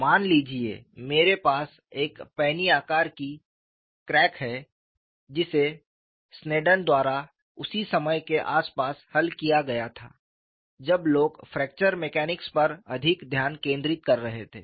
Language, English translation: Hindi, Suppose, I have a penny shaped crack which was solved by Sneddon around the same time, when people where focusing more on fracture mechanics